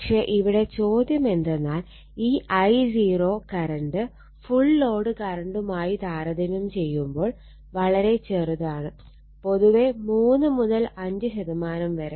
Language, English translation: Malayalam, But question is that this I 0 current actually this I 0 current is very small compared to the full load current, right